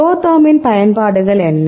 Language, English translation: Tamil, So, what are the applications of ProTherm